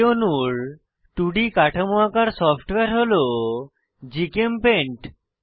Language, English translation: Bengali, 2D structure of this molecule was drawn in software called GChemPaint